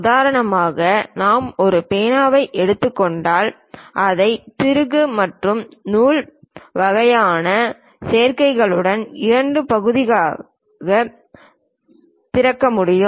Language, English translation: Tamil, For example, if you are taking a ah pen which can be opened into two part it always be having screw and thread kind of combinations